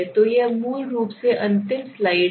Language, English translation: Hindi, So this is basically the last slide